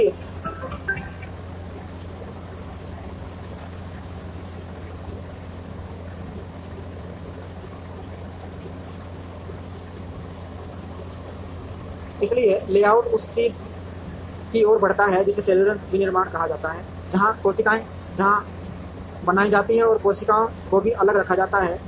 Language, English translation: Hindi, So, the layout move towards what is called cellular manufacturing, where the cells where created and cells were also kept separate